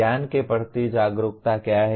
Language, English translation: Hindi, What is awareness of knowledge